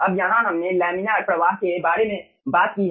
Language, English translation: Hindi, okay, now, here we have talked about the laminar flow